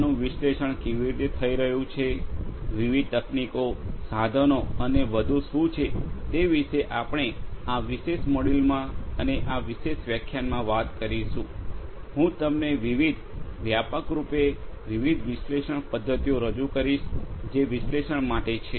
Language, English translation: Gujarati, How it is going to be analyzed, what are the different techniques, tools and so on is what we are going to talk about in this particular module and in this particular lecture, I am going to introduce to you about the different broadly the different methodologies that are there for the analysis